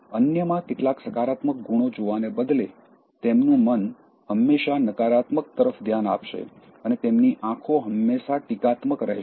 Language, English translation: Gujarati, Instead of looking at some positive traits in others, their mind will always look at the negative ones and their eyes are always critical